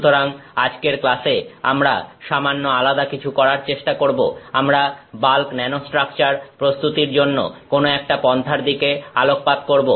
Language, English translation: Bengali, So, in today’s class, we are going to do something slightly a different, we are going to focus on An Approach to Prepare Bulk Nanostructures